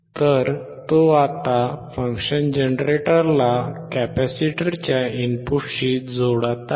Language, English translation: Marathi, So, he is right now connecting the function generator to the input of the capacitor